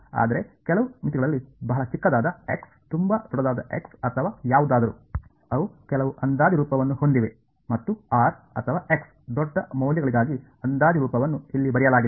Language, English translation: Kannada, But under some limits very small x very large x or whatever, they have some approximate form and that approximate form has been written over here for large values of r or x whatever ok